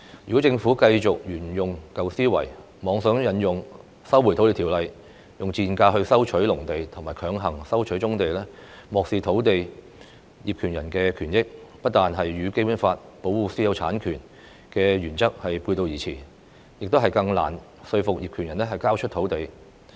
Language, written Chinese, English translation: Cantonese, 如果政府繼續沿用舊思維，妄想引用《收回土地條例》以"賤價"收回農地和強行收回棕地，漠視土地業權人的權益，這不但與《基本法》保護私有產權的原則背道而馳，亦更難以說服業權人交出土地。, If the Government adhering to its old mindset attempts to resume agriculture land at a very low price and forcibly resumes brownfield sites by invoking the Lands Resumption Ordinance ignoring the interests of land owners not only will such practice go against the principle of protecting private property rights as set out in the Basic Law but it will also make it harder for the Government to persuade land owners to hand over their land